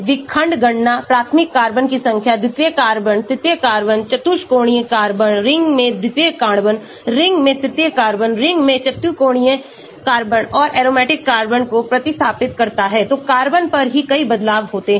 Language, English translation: Hindi, fragment count, number of primary carbon, secondary carbon, tertiary carbon, quaternary carbon, secondary carbon in ring, tertiary carbon in ring, quaternary carbon in ring and substituted aromatic carbon, so many variations on carbon itself